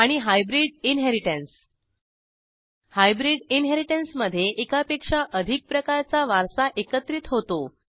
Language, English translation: Marathi, and Hybrid inheritance In hybrid inheritance more than one form of inheritance is combined